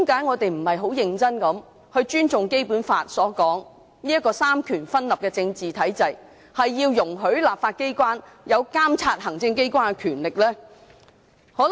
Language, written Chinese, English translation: Cantonese, 為何當局不尊重《基本法》的規定，在這個三權分立的政治體制下容許立法機關擁有監察行政機關的權力？, Why do the authorities not respect the provisions in the Basic Law which empower the legislature to monitor the executive authorities under the political regime of separation of powers?